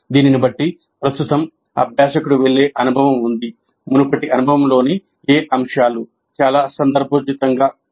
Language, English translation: Telugu, Given that presently there is an experience through which the learner is going, which elements of the previous experience are most relevant